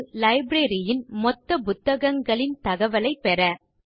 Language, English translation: Tamil, And that is: Get information about all books in the library